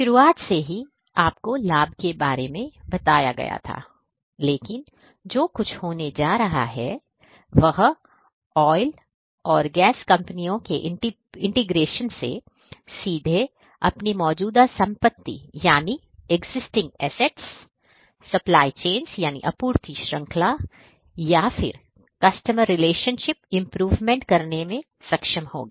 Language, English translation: Hindi, The benefits is something that, I have already told you at the outset, but what is going to happen is through the integration the oil and gas companies would be able to directly manage their existing assets, supply chains or customer relationships and that basically will help the business overall